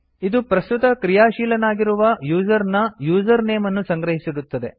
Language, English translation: Kannada, It stores the username of the currently active user